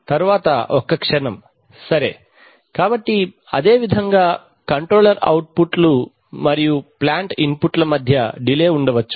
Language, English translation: Telugu, Next is oh, just a moment yeah, so what is the, similarly there could be delays between controller outputs and plant inputs right